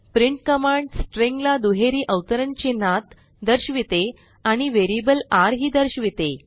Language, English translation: Marathi, print command displays the string within double quotes and also displays variable $r